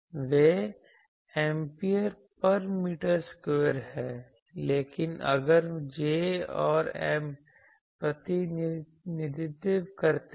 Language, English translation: Hindi, They are ampere per meter square; but if J and M represent